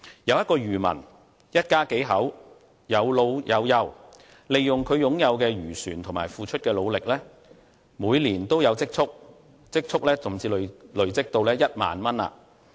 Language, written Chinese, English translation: Cantonese, 有一個漁民，一家數口，有老有幼，利用他擁有的漁船及付出的努力，每年均有積儲，甚至累積到1萬元。, There is a fisherman family with young siblings and elderly . The fisherman makes a living by fishing with his fishing vessel and manages to save up some money every year and accumulate 10,000